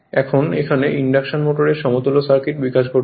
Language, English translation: Bengali, Now, this is the development of the equivalent circuit of induction motor